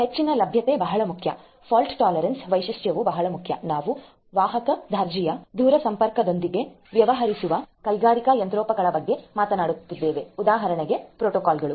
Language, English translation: Kannada, High availability is very important, fault tolerance feature is very important, we are talking about industrial machinery dealing with carrier grade telecommunication equipments, protocols and so on